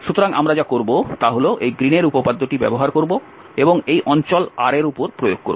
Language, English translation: Bengali, So, what we will do will use this Green’s theorem and apply on this region R